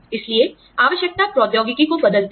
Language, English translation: Hindi, So, necessity changes the technology